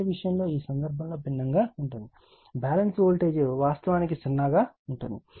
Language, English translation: Telugu, In the case of current, it is different in this case the balance is actually zero right